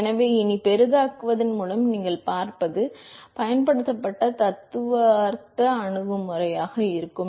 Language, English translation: Tamil, So, hereafter what you will see by enlarge is going to be the theoretical approach that has been used